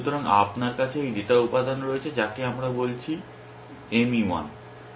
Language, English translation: Bengali, So, you have this data elements which we call working M E 1